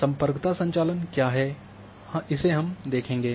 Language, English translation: Hindi, So, what are the connectivity operations; which we will see